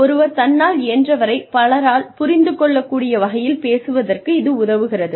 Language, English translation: Tamil, It helps to be, able to speak in a manner, that one can be understood by, as many people as possible